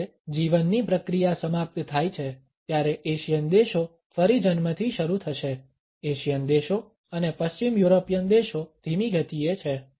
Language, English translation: Gujarati, When the process of life ends the Asian countries will start at birth again, the Asian countries are slower paced and the western European countries